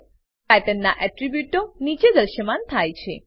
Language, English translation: Gujarati, Attributes of Pattern appear below